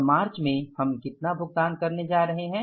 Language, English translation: Hindi, And in the month of March, how much payments we are going to make